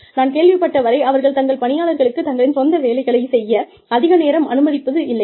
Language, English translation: Tamil, But, I have heard that, they do not allow people, very much time for, personal work